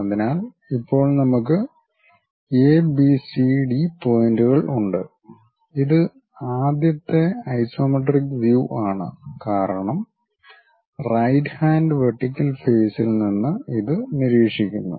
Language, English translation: Malayalam, So, now, we have points ABCD and this is the first isometric view because we are observing it from right hand vertical face